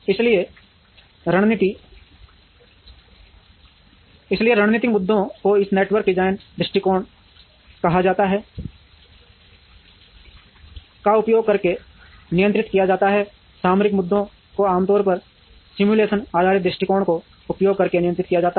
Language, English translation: Hindi, So, strategic issues are handled using what is called a network design approach, tactical issues are usually handled using simulation based approaches